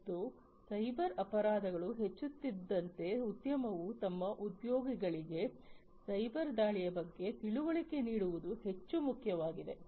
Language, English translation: Kannada, And as cyber crimes are increasing it is more important for the industry to educate their employees about potential cyber attacks